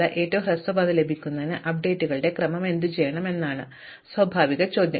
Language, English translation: Malayalam, So, a natural question to ask is what sequence of updates should I do in order to actually get the shortest path